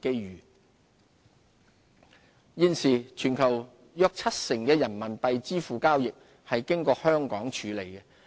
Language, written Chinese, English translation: Cantonese, 人民幣業務現時，全球約七成的人民幣支付交易是經香港處理的。, Today around 70 % of the worlds Renminbi RMB payment transactions are processed via Hong Kong